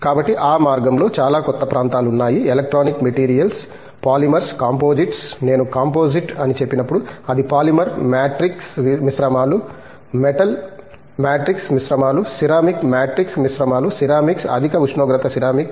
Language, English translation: Telugu, So so, in that connection a lot of newer areas for example, Electronic materials, Polymers, Composites, when I say Composite it would be Polymer matrix composites, Metal matrix composites, Ceramic matrix composites, Ceramics high temperature ceramics